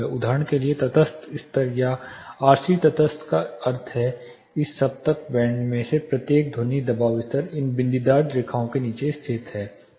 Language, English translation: Hindi, Neutral for example, a neutral level are RC neutral means each of this octave bands, the sound pressure levels are lying below these dotted lines here